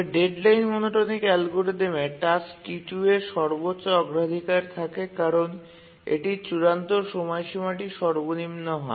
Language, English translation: Bengali, But in the deadline monotonic algorithm, task T2 is the highest priority task because it has the lowest deadline